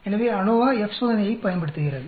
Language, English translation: Tamil, So ANOVA makes use of the F Test